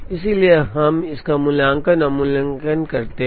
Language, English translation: Hindi, So, we now try and evaluate this